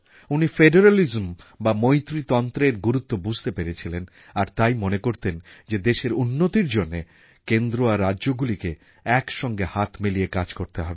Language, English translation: Bengali, He had talked about the importance of federalism, federal system and stressed on Center and states working together for the upliftment of the country